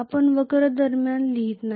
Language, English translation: Marathi, We are not writing in between curves